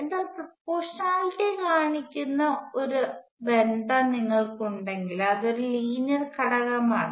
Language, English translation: Malayalam, So, if you have a relationship that shows proportionality like this it is a linear element